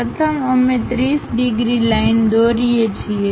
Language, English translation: Gujarati, First we draw 30 degrees line